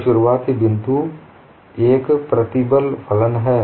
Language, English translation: Hindi, So the starting point, is a stress function